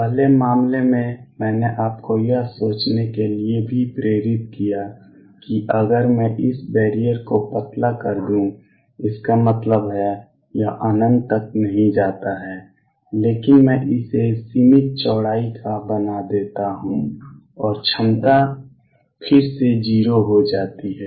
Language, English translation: Hindi, The first case I also motivated you to think that if I make this barrier thin; that means, it does not go all the way to infinity, but I make it of finite width and potentiality become 0 again